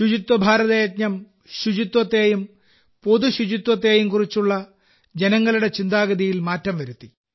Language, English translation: Malayalam, The Swachh Bharat Abhiyan has changed people's mindset regarding cleanliness and public hygiene